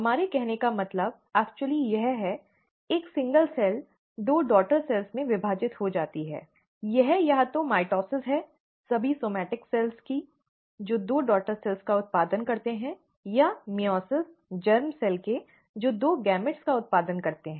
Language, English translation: Hindi, What we mean is actually this, a single cell divides to become two cells, it is either mitosis, of all the somatic cells, which yields two daughter cells or the meiosis, of germ cells, which yields two gametes